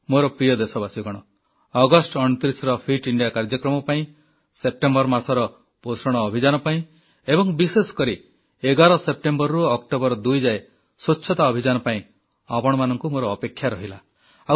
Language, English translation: Odia, My dear countrymen, I will be waiting for your participation on 29th August in 'Fit India Movement', in 'Poshan Abhiyaan' during the month of September and especially in the 'Swachhata Abhiyan' beginning from the 11th of September to the 2nd of October